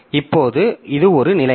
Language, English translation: Tamil, Now, so this is one situation